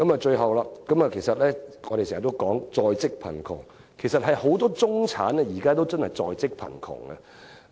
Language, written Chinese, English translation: Cantonese, 最後，我們經常說在職貧窮，其實不少中產人士都處於在職貧窮狀態。, Finally we always talk about working poverty . In fact many middle - class people are faced with working poverty